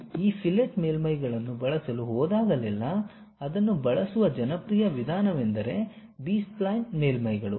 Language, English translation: Kannada, Whenever, you are going to use these fillet surfaces, the popular way of using is B spline surfaces one can really use it